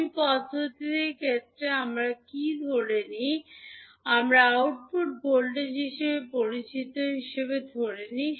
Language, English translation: Bengali, In case of ladder method, what we assume, we assume output voltage as known